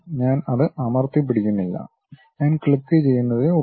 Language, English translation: Malayalam, I am not pressing holding it, I just click